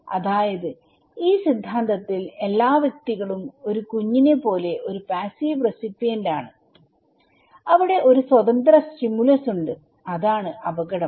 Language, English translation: Malayalam, Like, in this theory all individuals are like a passive recipient like a baby, okay and there is of an independent stimulus that is the hazard